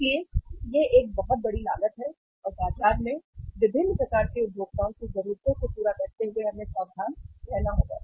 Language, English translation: Hindi, So it is a very big cost and we will have to be careful while serving the needs of different kind of consumers in the market